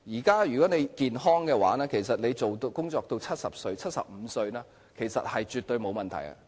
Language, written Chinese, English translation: Cantonese, 假如健康的話，其實工作至70歲或75歲是絕對沒有問題的。, If a person is healthy it is definitely possible for him to work until the age of 70 or 75